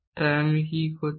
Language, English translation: Bengali, So, what am I doing